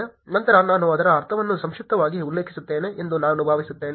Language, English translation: Kannada, Then I thought I would just mention it briefly what does it mean